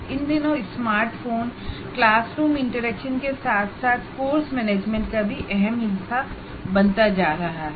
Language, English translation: Hindi, These days the smartphone also is becoming an integral part of classroom interaction as well as course management